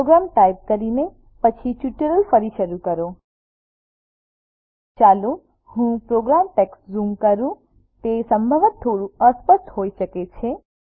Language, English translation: Gujarati, Resume the tutorial after typing the program Let me zoom into the program text it may possibly be a little blurred